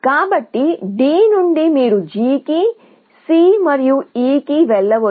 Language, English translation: Telugu, So, from D, you can go to G to C and to E